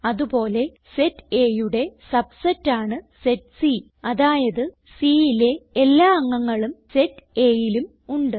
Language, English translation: Malayalam, And we can also write: set C is a subset of set A, as every element in C is in set A